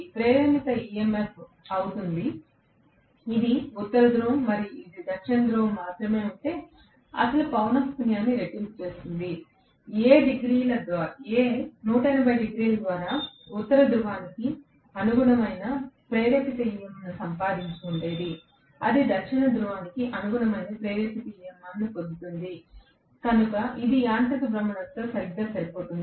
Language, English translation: Telugu, The induced EMF will become, double the original frequency if it had been only one North Pole and one South Pole, A would have gotten induced EMF corresponding to North Pole after 180 degrees only it will get an induced EMF corresponding to south pole, so it is exactly matching with whatever was the mechanical rotation